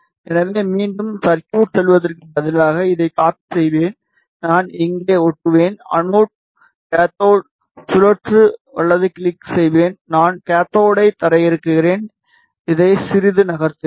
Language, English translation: Tamil, So, instead of going to the circuit again I will just copy this, I will paste here, right click to rotate anode cathode, I will ground the cathode, ok, moving this a bit